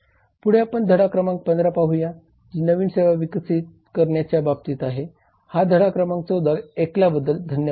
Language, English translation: Marathi, next we come to the lesson number 15 which is new service develop thank you for listening to this lesson 14 we hope that it helps